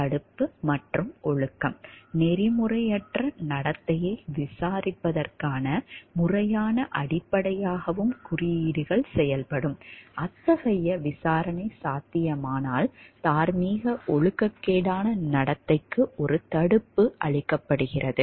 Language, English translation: Tamil, Deterrence and discipline: codes can also serve as the formal basis for investigating unethical conduct, where a such investigation is possible are deterrent for moral immoral behavior is thereby provided